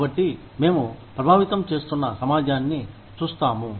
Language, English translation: Telugu, So, we look at the community, that is being affected